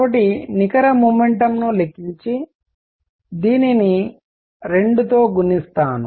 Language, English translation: Telugu, So, net momentum is going to be I will calculate this and multiply it by 2